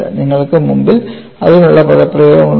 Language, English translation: Malayalam, You have the expressions before you